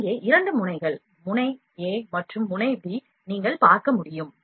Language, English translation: Tamil, These are two nozzles here nozzle a and nozzle b